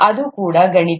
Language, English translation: Kannada, That's also mathematics